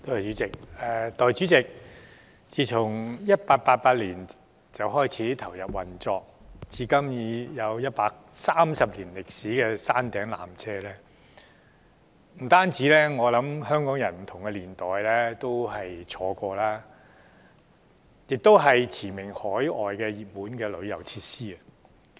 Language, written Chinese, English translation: Cantonese, 代理主席，山頂纜車自1888年開始投入運作，至今已有130年歷史，我相信不單不同年代的香港人也曾乘坐過，它亦是馳名海外的本地熱門旅遊設施。, Deputy President the peak tramway has been in operation since 1888 and has a history of 130 years . I am sure it has not only been an attraction for Hong Kong people of different generations but is also a world - renowned local hot spot for tourists